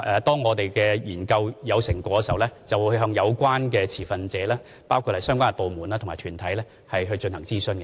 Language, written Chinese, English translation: Cantonese, 當我們的研究有成果時，便會向有關持份者，包括相關部門和團體進行諮詢。, When the results of our study are available we will consult the relevant stakeholders including relevant departments and groups